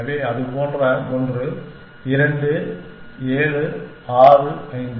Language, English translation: Tamil, So, something like that, 2 7 6 5